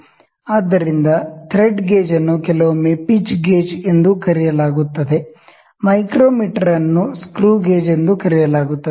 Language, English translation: Kannada, So, thread gauge is also sometime known as screw gauge however the micro meter is also known as screw gauge, it is also known as pitch gauge